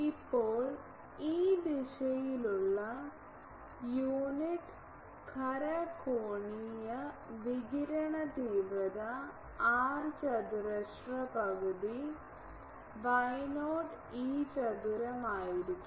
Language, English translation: Malayalam, Now, the power density per unit solid angular radiation intensity in this direction will be r square half Y not E theta square